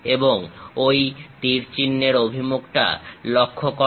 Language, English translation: Bengali, And note the arrow direction